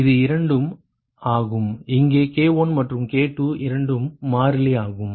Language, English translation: Tamil, this is two, where k one and k two are constants